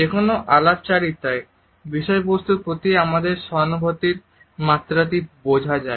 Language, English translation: Bengali, In any interaction what is the level of our empathy which we have towards the content which is being passed on